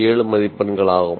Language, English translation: Tamil, 7 marks out of 2